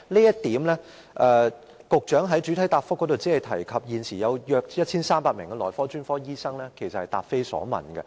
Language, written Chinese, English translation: Cantonese, 就此，局長在主體答覆中只提及現時約有1300名內科專科醫生，她其實答非所問。, In this regard the Secretary only mentioned in the main reply that there are now about 1 300 doctors working in the specialty of medicine but her reply actually did not address the issue